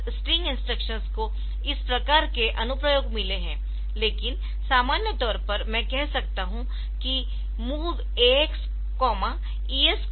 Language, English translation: Hindi, So, so this string instructions they have got this type of application, but in general I can say like say move AX comma say ES colon DI